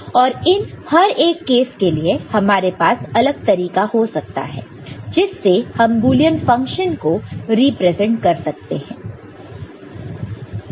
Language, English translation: Hindi, And for each of these cases, we can have many different ways the functions Boolean functions can be represented, right